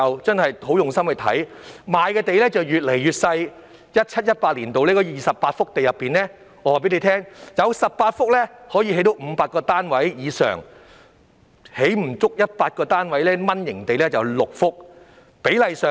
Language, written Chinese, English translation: Cantonese, 在 2017-2018 年度的28幅土地中，有18幅可供興建500個單位以上，而6幅是"蚊型地"，只可興建不足100個單位。, Among the 28 sites included in the 2017 - 2018 Land Sale Programme 18 sites were capable of providing more than 500 units while six sites were mini sites each of which had a capacity to provide only less than 100 units